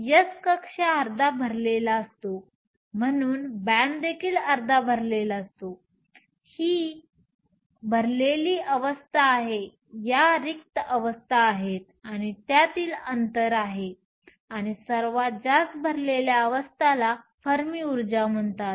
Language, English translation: Marathi, The s shell is half filled, so the band is also half filled; these are the filled states, these are the empty states and the gap between, and the highest filled state is called the Fermi energy